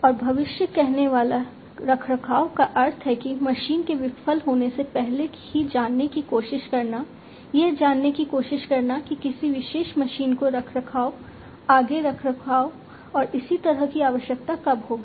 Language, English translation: Hindi, And predictive maintenance means like you know trying to know beforehand even before a machine fails trying to know when a particular machine would need maintenance, further maintenance, and so on